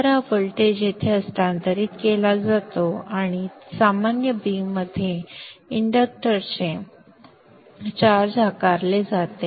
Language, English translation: Marathi, So this voltage gets transferred here and charges up the inductor in the normal way